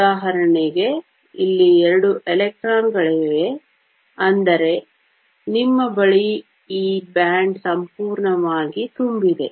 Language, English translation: Kannada, Sigma, there are two electrons here, which means you have this band is completely full